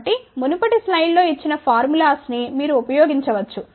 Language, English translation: Telugu, So, the formulas which has given in the previous slide you use that